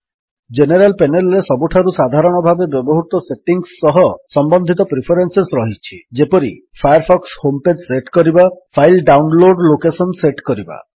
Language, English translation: Odia, The General panel contains preferences related to the most commonly used settings, such as#160:setting Firefox home page.setting file download location